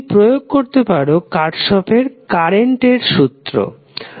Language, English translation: Bengali, You can apply Kirchhoff’s current law